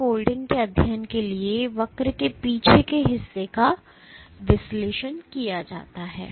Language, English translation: Hindi, So, the retraction portion of the curve is analyzed for protein unfolding studies